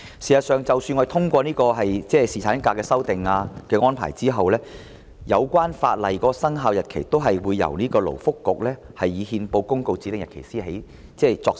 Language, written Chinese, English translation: Cantonese, 事實上，即使我們通過侍產假的修訂安排，有關法例的生效日期也會由勞工及福利局以憲報公告指定日期開始作實。, In fact even if any amendment on paternity leave is passed the relevant legislation will come into operation on a day to be appointed by the Labour and Welfare Bureau by notice published in the Gazette